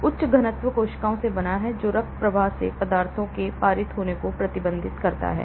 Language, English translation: Hindi, So, this is composed of high density cells restricting passage of substances from the blood stream